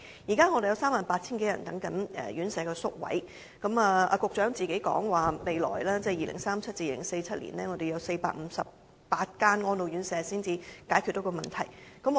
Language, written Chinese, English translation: Cantonese, 現時有 38,000 多人輪候宿位，局長說未來需有458間安老院舍才能解決問題。, At present there are 38 000 people waiting for vacancies in the RCHEs and according to the Secretary we need 458 RCHEs in the future to resolve the problem